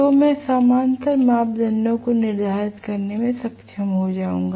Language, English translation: Hindi, So, I will be able to determine the parallel parameters